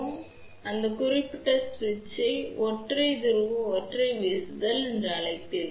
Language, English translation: Tamil, So, you will get that particular switch is known as single pole single throw ok